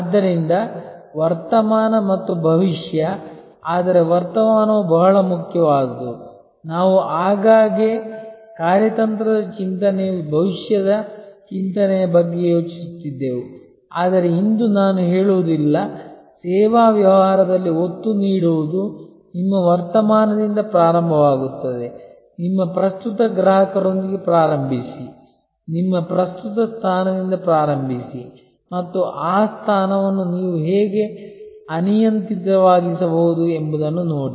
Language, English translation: Kannada, So, the present and the future, but the present is very important earlier we often used to think strategic thinking is about future thinking, but no I would say today emphasis in a service business will be start with your present, start with your current customer, start with your present position and see that how you can make that position unassailable